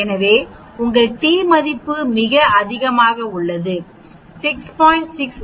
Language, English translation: Tamil, So your t value which we calculate is quite high here 6